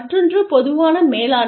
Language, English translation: Tamil, The other one is, common management